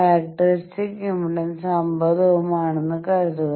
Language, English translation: Malayalam, Assume characteristic impedance to be 50 ohm